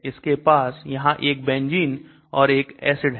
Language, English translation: Hindi, So it has got a benzene and an acid here